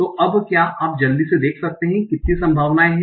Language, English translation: Hindi, So, now can you just quickly see how many possibilities are there